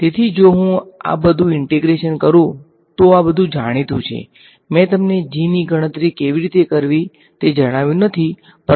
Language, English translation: Gujarati, So, if I do all this integration this these are all known things ok, I have not told you how to calculate g, but we will get to it